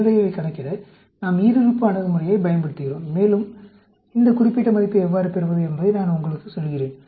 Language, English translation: Tamil, We use a binomial approach to calculate the probability, and let me tell you how to get this particular value